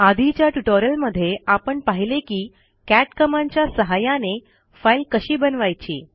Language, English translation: Marathi, We have already seen in another tutorial how we can create a file using the cat command